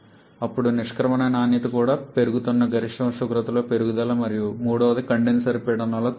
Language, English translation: Telugu, Then an increase in the maximum temperature where the exit quality is also increasing and the third is a deduction in the condenser pressure